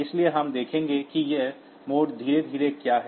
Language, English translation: Hindi, So, we will see what are these modes slowly